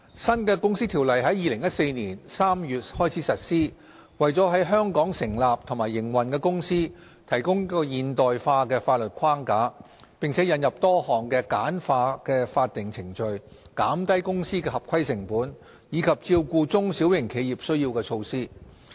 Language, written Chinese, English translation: Cantonese, 新《條例》在2014年3月開始實施，為在香港成立和營運的公司提供現代化的法律框架，並引入多項簡化法定程序、減低公司合規成本，以及照顧中小型企業需要的措施。, The new CO commenced operation in March 2014 . It provides a modern statutory framework for the incorporation and operation of companies in Hong Kong . A number of measures have been introduced under the new CO to simplify statutory procedures reduce the compliance costs of companies and cater for the needs of small and medium - sized enterprises SMEs